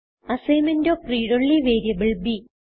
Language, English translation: Malayalam, Assignment of read only variable b